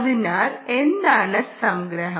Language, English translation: Malayalam, so what is the big summary